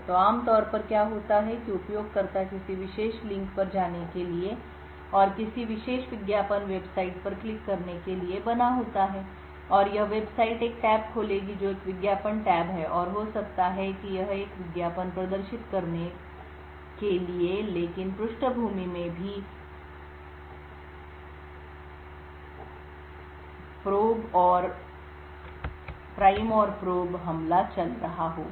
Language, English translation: Hindi, So what would typically happen is that the user is made to go to a particular link and click on a particular advertising website and this website would open a tab which is an advertisement tab and maybe show display an advertisement but also in the background it would be running the prime and probe attack